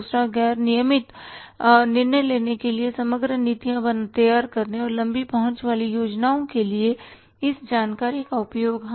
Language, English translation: Hindi, Second is use information for making non routine decisions and formulating overall policies and the long ridge plans